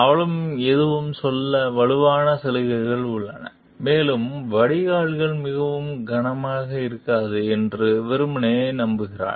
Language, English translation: Tamil, She has strong incentives to say nothing and simply hopes that drains will not be too heavy